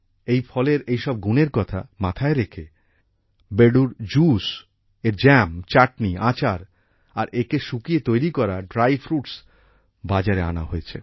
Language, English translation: Bengali, In view of these qualities of this fruit, now the juice of Bedu, jams, chutneys, pickles and dry fruits prepared by drying them have been launched in the market